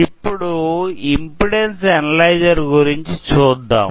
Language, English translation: Telugu, Now, we will talk about impedance analyzer